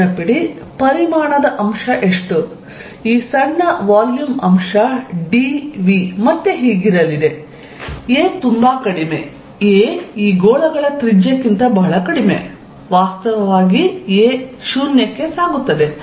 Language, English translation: Kannada, Remember, how much is the volume element, this small volume element d v is going to be again a is very, very small a is much, much, much less than the radius of these spheres a in fact, will tend to 0